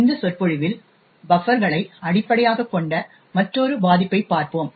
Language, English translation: Tamil, In this lecture we will look at another vulnerability based on buffers